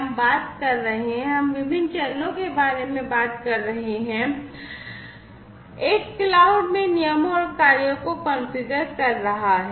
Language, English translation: Hindi, We are talking about; we are talking about different steps; step one is configuring the rules and actions in the cloud